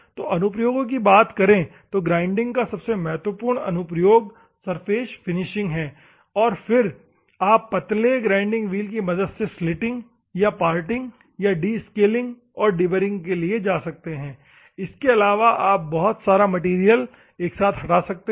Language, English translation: Hindi, So, the applications: the most important application of the grinding is, surface finishing and then you can go for thin grinding wheels for slitting and parting and descaling and deburring, also you can go and stock removal